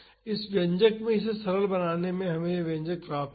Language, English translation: Hindi, In this expression and simplify it we would get this expression